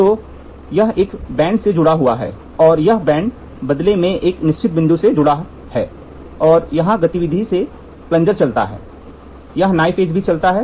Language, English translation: Hindi, So, this is attached to a band, this is attached to a band and this band in turn is attached to a fixed point and here as at movement the plunger moves, this a knife edge also moves